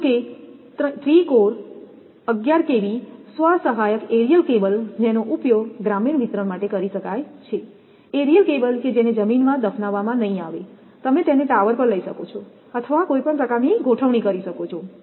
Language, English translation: Gujarati, However, a 3 core 11 kV self supporting aerial cable which can be used for rural distribution; aerial cable means not buried in the ground, you can take it to the tower or some kind of arrangement